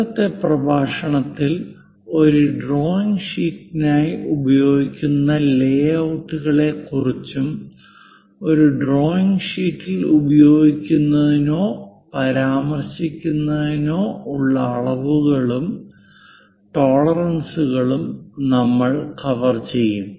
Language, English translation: Malayalam, In today's lecture we will cover what are the layouts to be used for a drawing sheet and dimensioning and tolerances to be used or mentioned in a drawing sheet